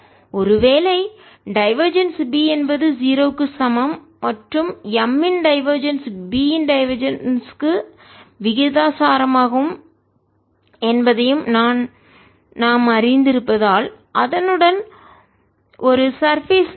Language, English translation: Tamil, as we know that divergence of b equal to zero and divergence of m is proportional to divergence of b, so divergence of m is also equal to zero